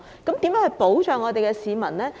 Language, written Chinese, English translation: Cantonese, 當局如何保障市民呢？, How can the authorities protect the public?